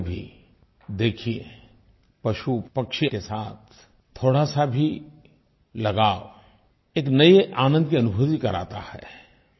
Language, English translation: Hindi, You can also experience for yourself that a little attachment to an animal or a bird makes you feel very happy